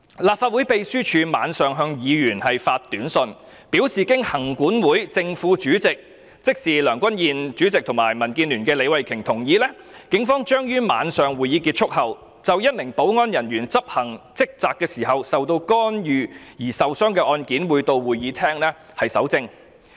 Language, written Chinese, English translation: Cantonese, 立法會秘書處當晚向議員發出短訊，表示經立法會行政管理委員會正、副主席同意——即梁君彥主席及民主建港協進聯盟的李慧琼議員，警方將於晚上會議結束後，就一名保安人員執行職責時受到干擾而受傷的案件，到會議廳蒐證。, The Legislative Council Secretariat sent an SMS message to Members that night saying that with the consent of the Chairman and Deputy Chairman of the Legislative Council Commission who are President Andrew LEUNG and Ms Starry LEE of the Democratic Alliance for the Betterment and Progress of Hong Kong respectively the Police would after the meeting ended at night gather evidence in the Chamber in relation to a case in which a security officer was interfered while in execution of his duty and sustained injuries . The President said that it was not a political decision to report the case to the Police